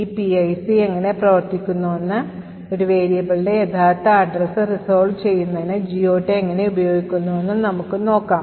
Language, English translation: Malayalam, So, we will see how this PIC works and how, the GOT table is used to resolve the actual address of a variable